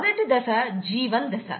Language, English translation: Telugu, The G2 phase